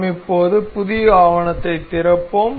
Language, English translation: Tamil, We now will open up new document